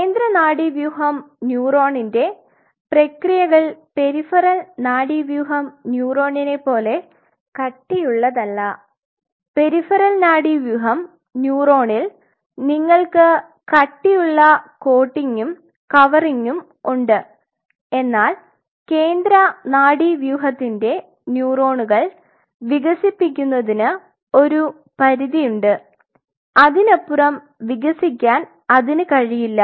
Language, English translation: Malayalam, The central nervous system neuron, so central nervous system neuron does not their processes does not become as thick as the peripheral nervous system neuron where you have a thick coating and covering because central nervous system has a limited space to expand it cannot expand beyond it